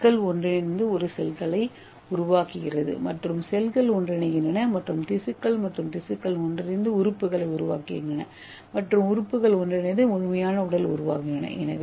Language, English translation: Tamil, The atoms combines and form the cells and the cells combine and form the tissues and tissues combine and form the organs and organs combine and form the complete body